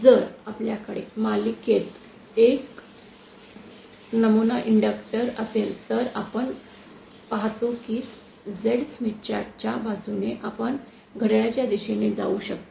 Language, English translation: Marathi, If we have an ideal inductor in series, then we see that we can go along in clockwise direction along the Z Smith chart